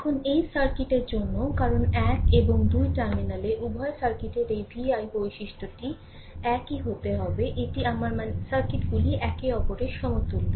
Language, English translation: Bengali, Now, for this circuit also because at terminal one and two, this vi characteristic of both the circuit has to be same it is I mean the circuits are equivalent to each other